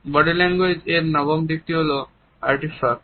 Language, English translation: Bengali, The ninth aspect of body language which we shall study is about the Artifacts